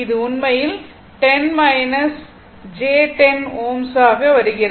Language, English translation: Tamil, So, it is actually becoming 10 minus j 10 ohm